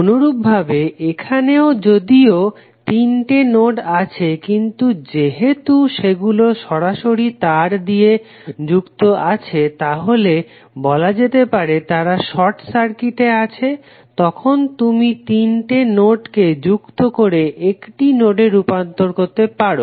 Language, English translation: Bengali, Similarly in this also, although you have three nodes but since all are connected through direct wire means all three nodes are short circuited then you can equal entry represents all the three nodes with one single node